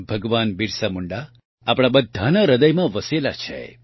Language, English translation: Gujarati, Bhagwan Birsa Munda dwells in the hearts of all of us